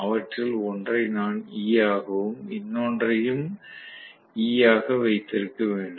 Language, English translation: Tamil, So, I am going to have one of them as E and another one also as E